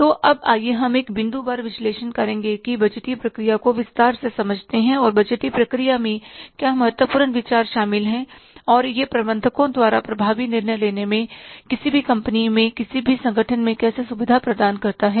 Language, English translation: Hindi, So now let's understand the budgetary process here in detail by making a point wise analysis and what are the important considerations involved in the budgetary process and how it facilitates the effective decision making by the managers in any organization in any company